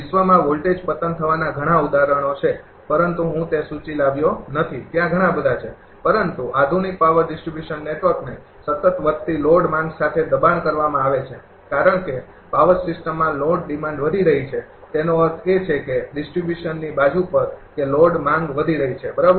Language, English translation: Gujarati, There are many examples of voltage collapse in the volt, but I did not bring that list there are many so, but the modern power distribution network is constantly being forced with an ever growing load demand because, load demand in power system is increasing; that means, on the distribution side that load demand is increasing, right